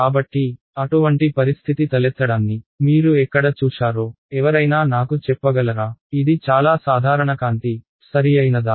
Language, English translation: Telugu, So, can anyone tell me where you have seen such a situation arise; it is very common light right